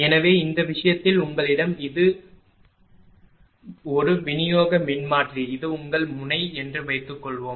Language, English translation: Tamil, So, in this case suppose you have this is a distribution transformer is a this is your node